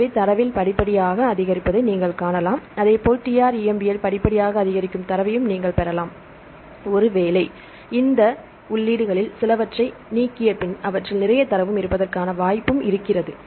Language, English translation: Tamil, So, you can see gradually increase in data likewise the TrEMBL also you can see the gradual increasing data right maybe they material you deleted some of this entries this is the reason there is this lot and then again it's growing up